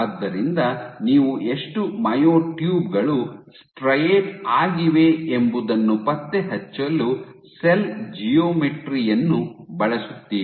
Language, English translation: Kannada, So, you use the cell and cell geometry to track how much how many myotubes up straight it